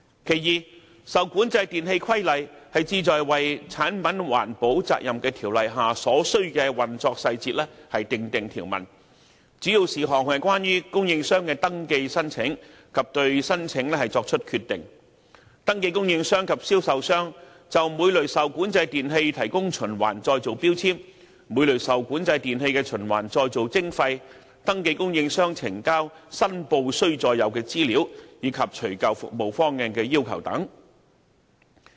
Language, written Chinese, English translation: Cantonese, 第二，《受管制電器規例》旨在為《產品環保責任條例》下所須的運作細節訂定條文，主要事項是關於供應商的登記申請及對申請作出決定，登記供應商及銷售商就每類受管制電器提供循環再造標籤，每類受管制電器的循環再造徵費，登記供應商呈交申報須載有的資料，以及除舊服務方案的要求等。, Second the REE Regulation seeks to provide for the necessary operational details under PERO of which the key issues concern the following applications for registration by suppliers and the determination of the applications provision of recycling labels for each class of REE by registered suppliers and sellers recycling levy for each class of REE payment of recycling levies by registered suppliers submission of information to be contained in the returns by registered suppliers requirements of the removal service plan and etc